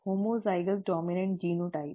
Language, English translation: Hindi, Homozygous dominant genotype